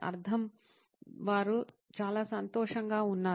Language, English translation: Telugu, Meaning, they are very happy